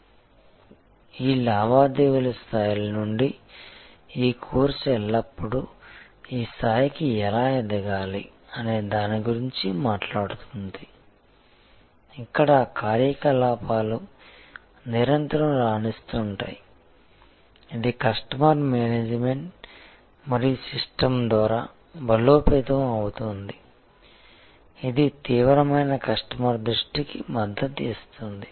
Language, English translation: Telugu, So, from these transactional levels, this course has always talked about how to rise to this level, where the operations continually excel, it is reinforced by personnel management and system that support an intense customer focus